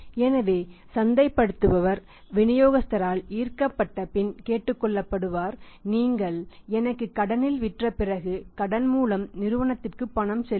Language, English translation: Tamil, So, marketing guy will be requested by the distributor will be impressed upon by the distributor that you sell me on credit and after the credit will make the payment to the company